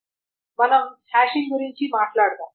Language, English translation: Telugu, So we will talk about hashing